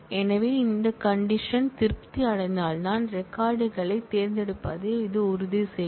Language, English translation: Tamil, So, this will ensure that you select the records only when this condition is satisfied